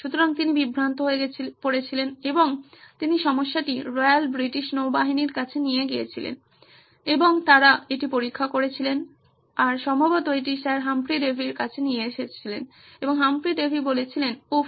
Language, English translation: Bengali, So, he was perplexed and he took the problem back to the Royal British Navy and they examined it and probably took it back to Sir Humphry Davy himself and Humphry said, oops